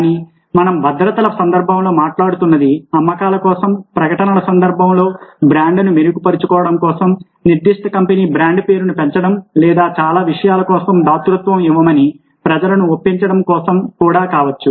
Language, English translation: Telugu, but what we talked about in the context of securities could be also in the contextual advertising for sales, for improving the brand, bolstering the brand name of a particular company or for, let's say, persuading people to give, to give charity for so many things